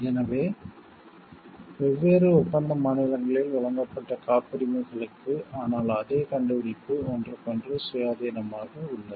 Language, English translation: Tamil, So, for the patents granted in different contracting states, but the same invention are independent of each other